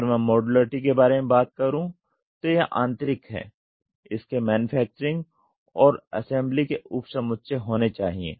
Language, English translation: Hindi, If I say modularity it is intern it has to have a subset of manufacturing and assembly